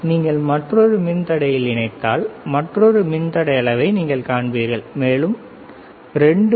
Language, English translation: Tamil, If you connect to another resistor, you will see another resistor is connecting and we are getting the value around 2